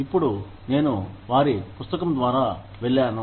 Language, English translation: Telugu, Since, I have gone through their book